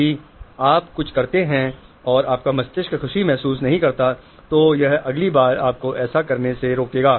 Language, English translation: Hindi, Even if you do something and your brain does not feel pleasure it will next time prevent you from doing it